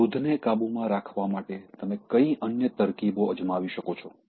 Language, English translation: Gujarati, What are other techniques that you can follow in order to control your anger